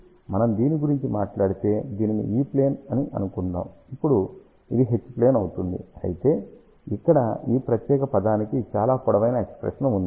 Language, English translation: Telugu, So, suppose if we talk about this is E plane, then this will be H plane now of course there is a longer expression for this particular term over here